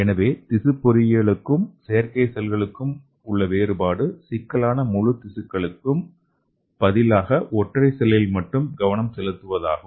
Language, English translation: Tamil, So in contrast to tissue engineering the field of artificial cells is concerned with singular cells okay, instead of the whole complex tissues